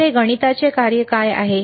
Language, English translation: Marathi, So, what is this mathematics function